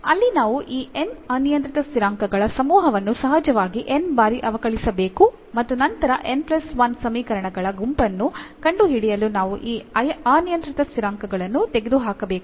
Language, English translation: Kannada, So, there we have to keep on differentiating this n parameter family of course, n times and then found the set of n plus 1 equations we have to eliminate these parameters